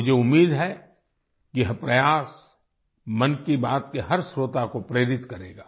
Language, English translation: Hindi, I hope this effort inspires every listener of 'Mann Ki Baat'